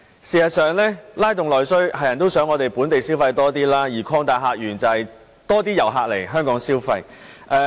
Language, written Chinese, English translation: Cantonese, 事實上，在拉動內需方面，大家也希望能增加本地消費，而擴大客源則是吸引更多遊客來港消費。, As regards stimulating internal demand we also wish to boost local consumption . Opening up new visitor sources means attracting more tourists to Hong Kong and spend their money